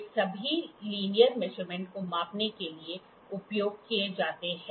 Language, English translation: Hindi, These are all used for measuring linear measurements